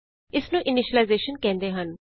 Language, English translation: Punjabi, This is called as initialization